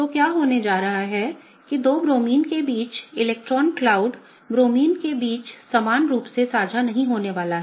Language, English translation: Hindi, What is going to happen is that the electron cloud between the two Bromines is not gonna be equally shared between the Bromines, right